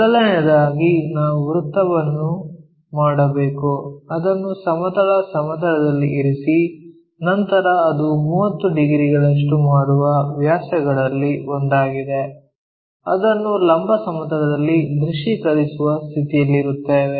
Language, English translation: Kannada, So, first of all, we have to take a circle, rest it on the horizontal plane, then one of the ah diameter it's making 30 degrees so, that we will be in a position to visualize that in the vertical plane